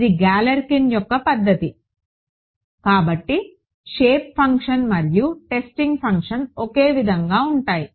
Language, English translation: Telugu, It is Galerkin’s method so, shape functions and testing functions are the same